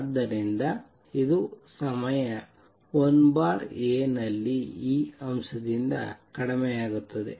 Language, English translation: Kannada, So, it decreases by a factor of E in time 1 over A